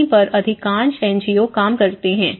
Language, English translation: Hindi, This is where most of NGOs work